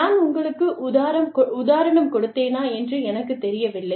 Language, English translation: Tamil, I do not know, if i gave you the example